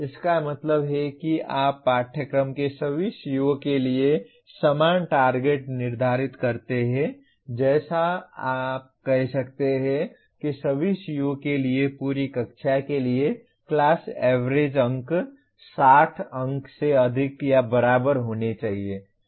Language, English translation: Hindi, That means you set the same target for all COs of a course like you can say the class average marks for the entire class for all COs put together should be greater than or equal to 60 marks